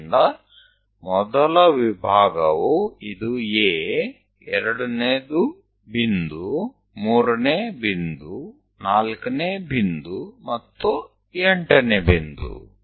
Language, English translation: Kannada, So, the division is this is A first, second point, third point, fourth point, and eighth point